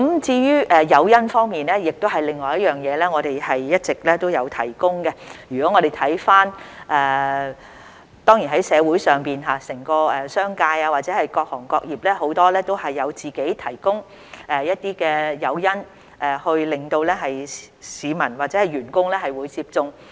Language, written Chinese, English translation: Cantonese, 在誘因方面，我們一直也有提供，當然，在社會上，整個商界或各行各業很多也自行提供一些誘因，鼓勵市民或員工接種。, We have also been providing incentives and of course in society the entire business sector or various trades and industries have provided some incentives on their own to encourage the public or their employees to receive vaccination